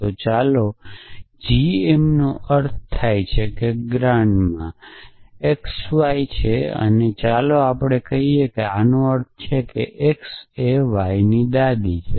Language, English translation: Gujarati, So, let say g m stands for grand ma x y and let say this means that x is the grandmother of y implies